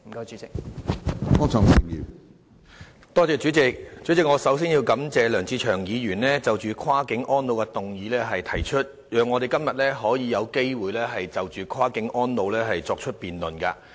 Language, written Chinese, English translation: Cantonese, 主席，首先，我要感謝梁志祥議員提出這項"跨境安老"議案，讓我們有機會就跨境安老問題進行辯論。, President I would first of all like to thank Mr LEUNG Che - cheung for proposing this motion on Cross - boundary elderly care so that we can have a chance to debate on the issue